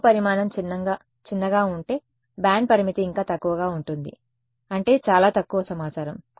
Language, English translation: Telugu, If the object size is small then the band limit is even smaller so; that means, as very little information